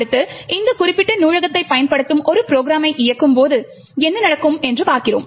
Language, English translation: Tamil, Next, we see what happens when we actually execute a program that uses this particular library